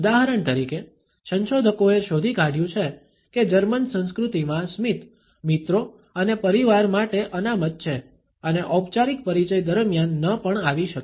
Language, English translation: Gujarati, For example, researchers have found out that in German culture a smiling is reserved for friends and family and may not occur during formal introductions